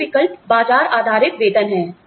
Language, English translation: Hindi, The other alternative is, market based pay